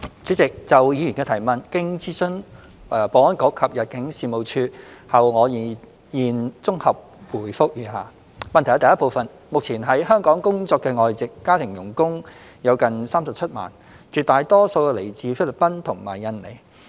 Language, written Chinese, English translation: Cantonese, 主席，就議員的質詢，經諮詢保安局及入境事務處後，我現綜合答覆如下：一目前，在香港工作的外籍家庭傭工有近37萬，絕大多數來自菲律賓和印尼。, President having consulted the Security Bureau and the Immigration Department ImmD my consolidated response to the Members question is set out below 1 At present there are close to 370 000 foreign domestic helpers FDHs working in Hong Kong with most of them coming from the Philippines and Indonesia